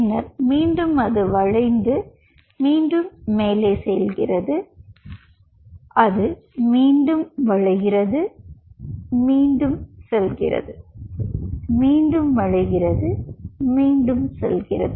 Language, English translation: Tamil, then again it bend and again it goes back again, it bends again, it goes back, again it bends, again it goes back